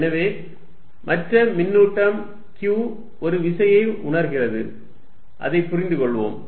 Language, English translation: Tamil, So, that in other charge q feels a force, let us understand that